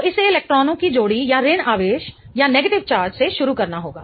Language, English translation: Hindi, So, it has to start from a pair of electrons or a negative charge